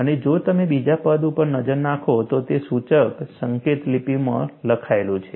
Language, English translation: Gujarati, And if you look at the second term, this is written in indicial notation